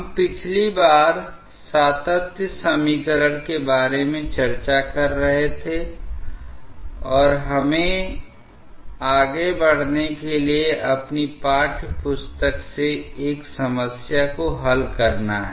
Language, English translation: Hindi, We were discussing about the continuity equation last time and let us work out a problem from your textbook to go ahead